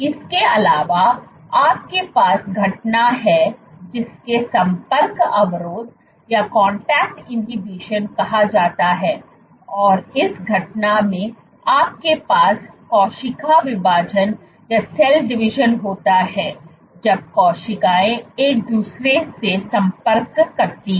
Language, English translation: Hindi, Also, you have this phenomenon called Contact Inhibition and in this phenomena you have cell division ceases when cells contact each other